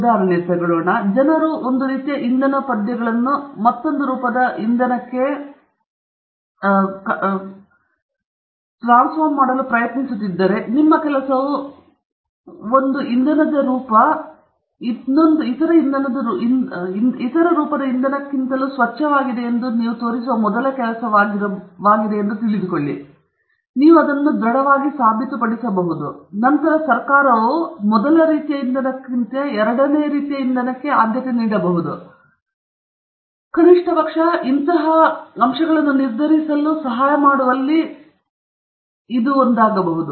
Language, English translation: Kannada, For example, if people are trying to fund one form of fuel verses another form of fuel, and your work is the first work that shows that one form of fuel is cleaner than the other form of fuel, and you are able to convincingly prove that, then may the government will then fund the first kind of fuel in preference to the second kind of fuel or at least this will be one of the factors that will help them decide